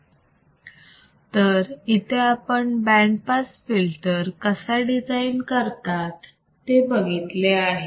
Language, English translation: Marathi, So, this is how we can design the band pass filter